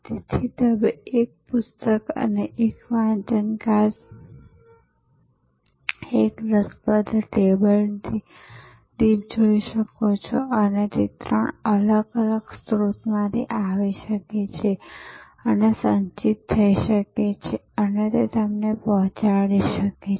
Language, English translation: Gujarati, So, you may want one book and one reading glass and one interesting table lamp and they can come from three different sources and can get accumulated and delivered to you